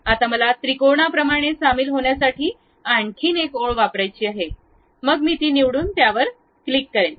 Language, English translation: Marathi, Now, I would like to use one more line to join like a triangle, then I will pick that one and click that one